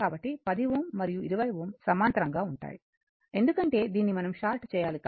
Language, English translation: Telugu, So, 10 ohm and 20 ohm are in parallel, right because we have to short this